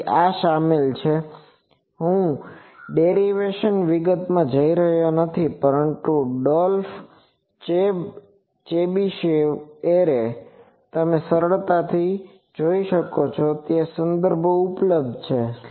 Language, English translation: Gujarati, So, this is involved I am not going into details of derivation, but Dolph Chebyshev array you can easily see there are good references available